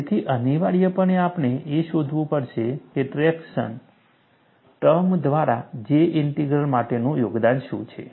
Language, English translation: Gujarati, So, essentially, we will have to find out, what is the contribution for the J Integral through the traction term